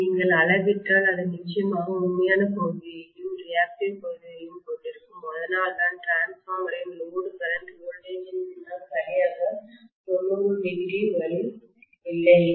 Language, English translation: Tamil, So if you measure it will definitely consist of both real portion as well as reactive portion, thats why the no load current of the transformer will not lag behind the voltage exactly by 90° no way